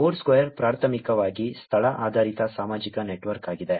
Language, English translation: Kannada, Foursquare is primarily a location based social network